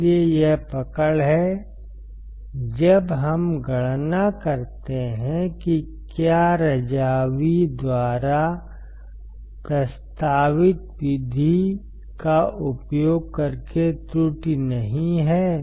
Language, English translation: Hindi, So, this is the catch when we calculate, whether the error is not there using the method proposed by Razavi